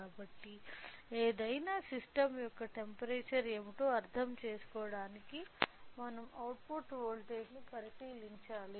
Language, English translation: Telugu, Since, in order to understand what is the temperature of any system, so, we should by looking into the output voltage we can easily do that